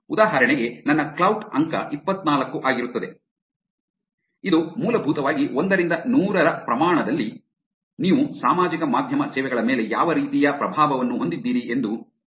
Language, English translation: Kannada, For example, my score would be 24, which basically says that on scale of 1 to 100 what kind of influence are you having on the social media services